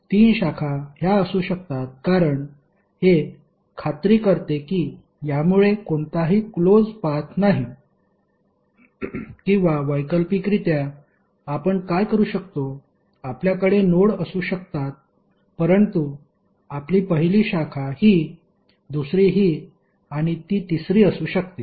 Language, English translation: Marathi, The three branches can be this because it make sure that there is no closed path or alternatively what you can do, you can have the nodes but your branches can be one that is second and it can be third